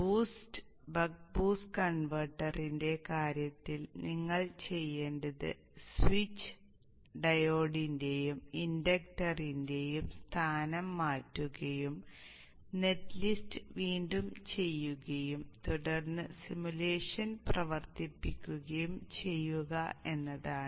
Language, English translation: Malayalam, In the case of boost and buck boost converter, what you have to do is change the position of the switches, diode and the inductor according to their respective topologies and redo the net list and then run the simulation